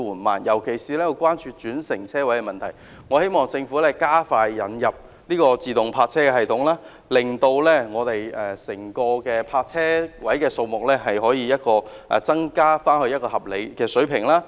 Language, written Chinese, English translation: Cantonese, 我們尤其關注轉乘車位的問題，希望政府加快引入自動泊車系統，令整體泊車位數目可增加至合理水平。, We are particularly concerned about park - and - ride spaces . We hope that the Government will introduce expeditiously the automatic parking system so that the overall number of parking spaces can be increased to a reasonable level